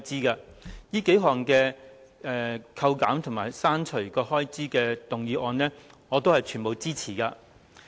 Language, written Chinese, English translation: Cantonese, 對於這數項扣減和刪除有關開支的修正案，我全部支持。, I support all of these several amendments seeking to reduce and cut the relevant expenses